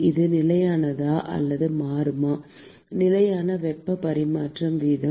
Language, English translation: Tamil, Will it be constant or it will change; rate of heat transfer that will be constant